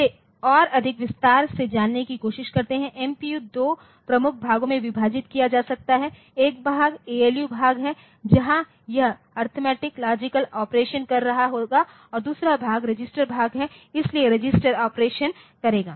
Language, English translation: Hindi, Going into more detail so, this MPU you can divide it into 2 major portion, one part is the ALU part where it will be doing the arithmetic logic operation and the other part is the register part so, it will be doing the register operation